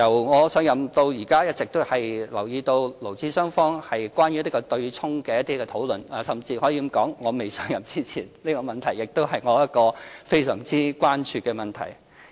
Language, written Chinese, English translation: Cantonese, 我由上任至今一直留意到勞資雙方有關強積金對沖的討論，甚至可以說，在我未上任前，這亦是我非常關注的問題。, Since I have assumed office I have been paying attention to the discussion on the MPF offsetting arrangement between employers and employees . I can even say that this was an issue of my focus before I came into office